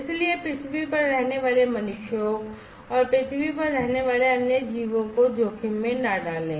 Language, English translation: Hindi, So, as not to risk the individuals the humans living on the earth, and other organisms living on the earth